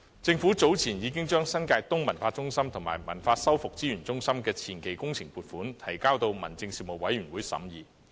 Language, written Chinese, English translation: Cantonese, 政府早前亦已將新界東文化中心和文物修復資源中心的前期工程撥款，提交民政事務委員會審議。, Earlier on the Government has also submitted the funding application for the advance works of the New Territories East Cultural Centre and the Heritage Conservation and Resource Centre to the Panel on Home Affairs for consideration